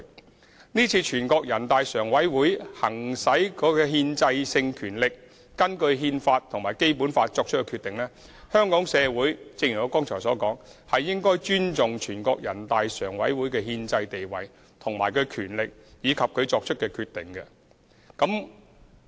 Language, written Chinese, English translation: Cantonese, 因此，對於全國人大常委會今次行使其憲制性權力，根據《中華人民共和國憲法》和《基本法》作出決定，正如我剛才所說，香港社會是應該尊重全國人大常委會的憲制地位、權力及其所作決定的。, Therefore as I mentioned earlier when NPCSC has exercised its constitutional power to make the decision in accordance with the Constitution of the Peoples Republic of China and the Basic Law the community of Hong Kong should respect NPCSCs constitutional status power and decision